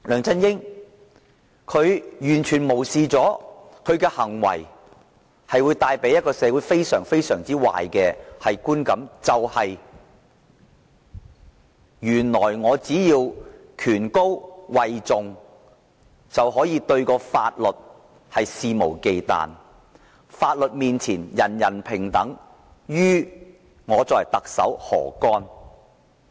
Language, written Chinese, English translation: Cantonese, 他完全無視他的行為會為社會帶來非常壞的觀感：只要位高權重，便可對法律肆無忌憚；"法律面前人人平等"與特首何干？, He has completely disregarded the fact that his act will create a very bad perception in the community as long as one is a high - powered official one can flout the law with impunity; what does everyone being equal before the law have to do with the Chief Executive?